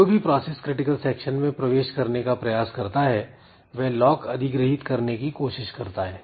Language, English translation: Hindi, So, the process who is entering or trying to enter into the critical section, it tries to acquire the lock